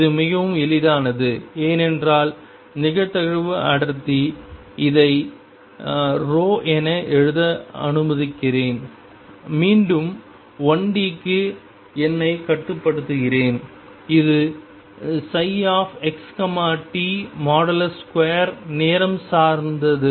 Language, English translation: Tamil, That is very easy to say because as I just said that probability density let me write this as rho and again restrict myself to one d which is psi x t mod square is time dependent